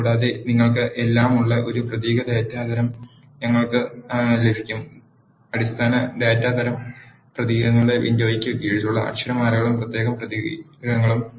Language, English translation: Malayalam, Also, we can have a character data type where you have all the alphabets and special characters which are under the window of basic data types of characters